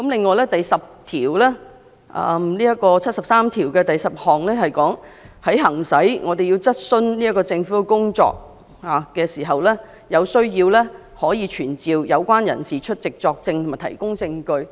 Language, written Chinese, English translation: Cantonese, 《基本法》第七十三條第十項表明，在行使質詢政府的職權時，如有需要，立法會可傳召有關人士出席作證和提供證據。, Article 7310 of the Basic Law states that the Legislative Council can summon as required when exercising the powers to raise questions on the work of the Government persons concerned to testify or give evidence